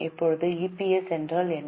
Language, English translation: Tamil, Now what is meant by EPS